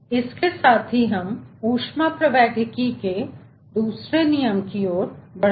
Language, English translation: Hindi, with this let us move to the second law of thermodynamics